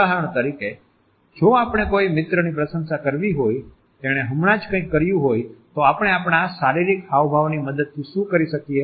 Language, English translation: Gujarati, For example, if we have to appreciate a friend for something he or she has just done what exactly do we do with the help of our bodily gestures